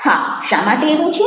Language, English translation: Gujarati, yes, why it is so